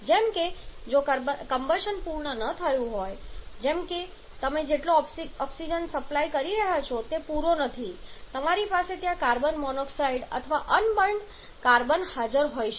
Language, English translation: Gujarati, Like if the combustion is not complete like the amount of oxygen that you are supplying that is not complete you may have carbon monoxide or unburned carbon present there